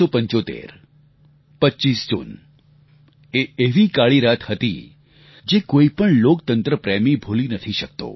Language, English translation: Gujarati, 1975 25th June it was a dark night that no devotee of democracy can ever forget